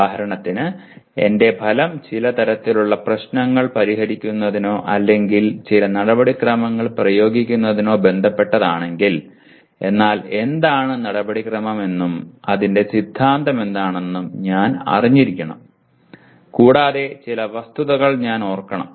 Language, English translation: Malayalam, For example if I am still my outcome is related to solving certain type of problems or applying certain procedures but I should know what the procedure is and what the theory of that is and I must remember some facts